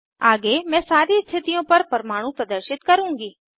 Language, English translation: Hindi, Next I will display atoms on all positions